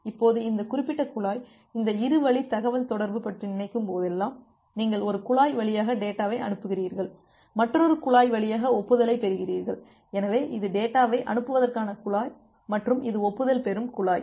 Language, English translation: Tamil, Well now this particular pipe, so whenever you are thinking about this two way communication, that you are sending data through one pipe and you are receiving acknowledgement through another pipe, well so this is the pipe for sending the data and this is the pipe for getting the acknowledgement